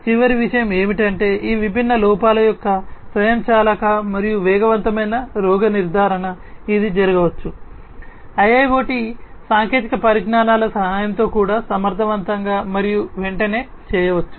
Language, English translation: Telugu, The last thing is the automatic and fast diagnosis of these different faults, that can happen, can also be performed efficiently and promptly, with the help of the use of IIoT technologies